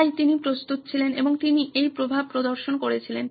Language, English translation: Bengali, So he was ready and he demonstrated this effect